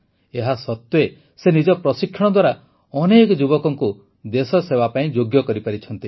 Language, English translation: Odia, Despite this, on the basis of his own training, he has made many youth worthy of national service